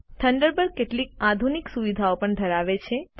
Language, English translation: Gujarati, Thunderbird also has some advanced features